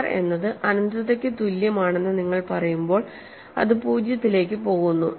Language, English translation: Malayalam, When you say r equal to infinity, it goes to 0, what does it mean